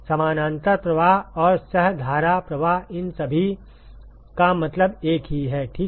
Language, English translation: Hindi, Parallel flow and co current flow they all mean the same ok